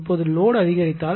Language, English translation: Tamil, Now, load has increased